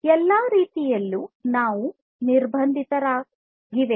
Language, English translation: Kannada, So, in all respects these are constraints